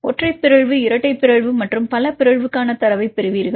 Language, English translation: Tamil, This you will get the data for a single mutation double mutation and multiple mutation